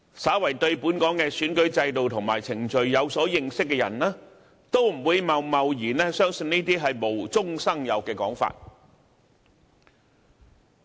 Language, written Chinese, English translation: Cantonese, 稍為對本港的選舉制度和程序有所認識的人，都不會貿貿然相信這些無中生有的說法。, Anyone who has some knowledge of our electoral system and procedure will not hastily believe in such pure fictitious saying